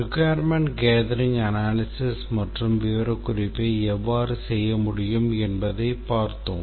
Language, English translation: Tamil, We had looked at how requirements gathering analysis and specification can be done